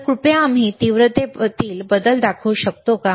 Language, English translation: Marathi, So, can we please show the change in intensity